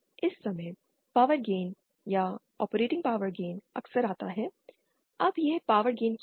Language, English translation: Hindi, This time, power gain or operating power gain comes across frequently, now what is this power gain